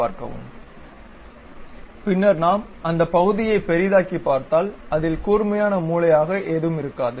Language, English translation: Tamil, Then if we are zooming that portion it will not be any more a sharp corner